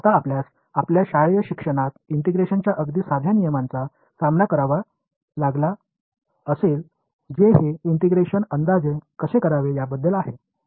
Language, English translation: Marathi, Now, you would have also encountered simple rules of integration in your schooling which are about how to do this integration approximately right